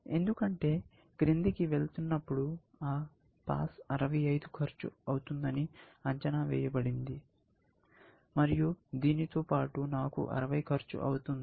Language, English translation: Telugu, Because going down, that pass is estimated to cost 65, along this, I can cost 60